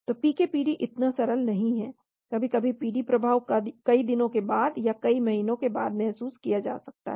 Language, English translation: Hindi, So PK PD is not so simple sometimes PD effects may be felt after many days or after many months